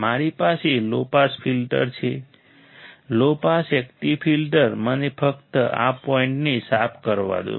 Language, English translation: Gujarati, I have a low pass filter a low pass active filter let me just clear this point